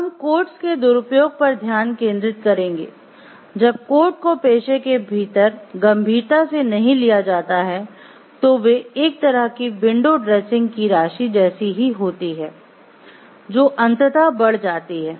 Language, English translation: Hindi, So, now we will focus into some of the abuse of codes, when codes are not taken seriously within a profession they amount to a kind of window dressing that ultimately increases